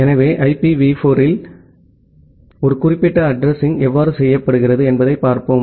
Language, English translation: Tamil, So, in IPv4, so let us look into that how a particular address is being done